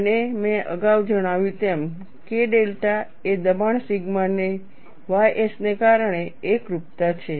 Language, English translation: Gujarati, And as I mentioned earlier, K delta is a singularity due to pressure sigma ys